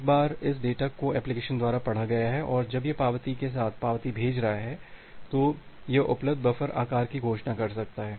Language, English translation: Hindi, Once this data has been read by the application and when it is sending that the acknowledgement with the acknowledgement, it can announce the available buffer size